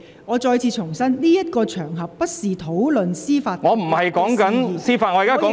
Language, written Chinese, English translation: Cantonese, 我再次重申，這不是討論司法獨立事宜的場合......, I must reiterate that this is not an occasion for discussing judicial independence